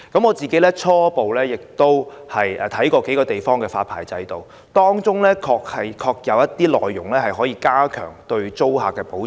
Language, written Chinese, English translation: Cantonese, 我初步參考了數個地方的發牌制度，當中確實有些措施可以加強對租客的保障。, I have initially drawn reference from the licensing systems of a few places under which some measures may actually better protect tenants